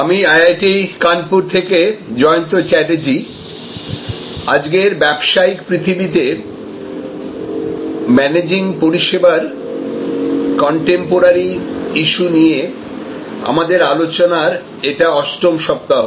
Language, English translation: Bengali, Hello, this is Jayanta Chatterjee from IIT, Kanpur and this is our 8th week of sessions on Managing Services Contemporary Issues in the present day world of business